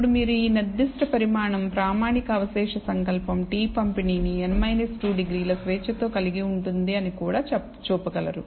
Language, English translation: Telugu, Now you can also show that this particular quantity the standardized residual will have a t distribution with n minus 2 degrees of freedom